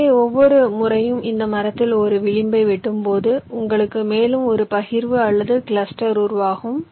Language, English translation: Tamil, so every time you cut an edge in this tree you will get one more partition or cluster generated